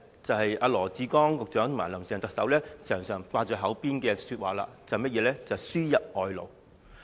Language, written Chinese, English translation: Cantonese, 便是羅致光局長及"林鄭"特首經常掛在口邊的話，即"輸入外勞"。, It is the statement often carried on the lips of Dr LAW Chi - kwong and Chief Executive Carrie LAM which refers to importation of labour